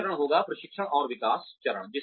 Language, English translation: Hindi, The second phase would be, training and development phase